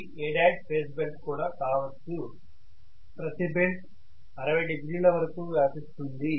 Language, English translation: Telugu, This is also may be A dash phase belt, every belt occupies about 60 degrees